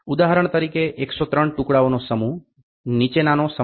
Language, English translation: Gujarati, So, for instance the set of 103 pieces consist of the following: One piece of 1